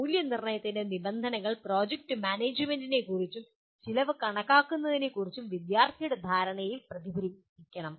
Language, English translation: Malayalam, The rubrics of evaluation should reflect the student’s understanding of the project management and estimation of cost